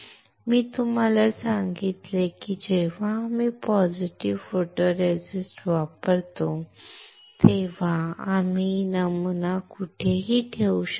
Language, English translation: Marathi, I told you that when we use positive photoresist, we can retain wherever the pattern is